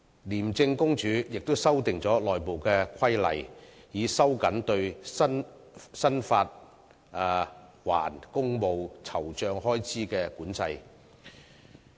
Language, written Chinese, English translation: Cantonese, 廉政公署亦已修訂內部規例，以收緊對申請發還公務酬酢開支的管制。, ICAC has also revised internal regulations to tighten up the control over claiming entertainment expenses for official purposes